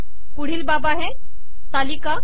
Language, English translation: Marathi, The next one is the table